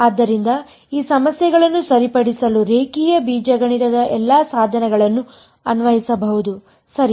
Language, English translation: Kannada, So, all the tools of linear algebra can be applied to these problems to solve them ok